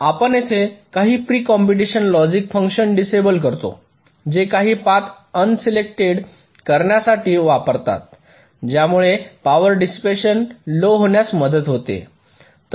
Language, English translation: Marathi, some pre computation logic to disable or un select some of the paths which can help in reducing power dissipation